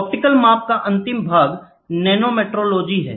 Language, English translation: Hindi, The last part of the optical measurements is nanometrology